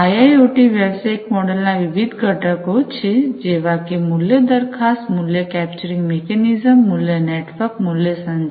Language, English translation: Gujarati, So, there are different components of IIoT business models; value proposition, value capturing mechanism, value network, value communication